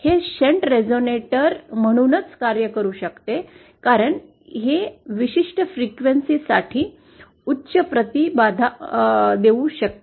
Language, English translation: Marathi, It can act as a shunt resonator because it can for certain frequencies give high impedance